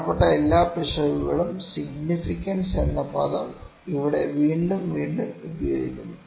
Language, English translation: Malayalam, All the potential significant errors, the word significant is being used again and again here